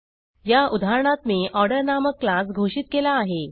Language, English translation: Marathi, I have defined a class named Order in this example